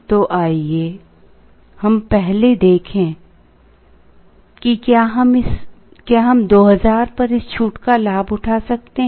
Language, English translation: Hindi, So, let us first look at, can we avail this discount at 2000